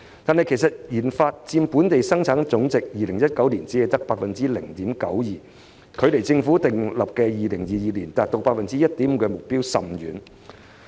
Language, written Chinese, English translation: Cantonese, 然而 ，2019 年研發開支只佔本地生產總值 0.92%， 與政府訂立在2022年達到 1.5% 的目標相距甚遠。, However in 2019 RD expenditure only accounted for 0.92 % of GDP lagging far behind the Governments target of reaching 1.5 % by 2022